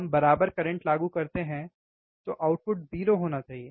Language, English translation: Hindi, wWe are we apply equal current then output should be 0, right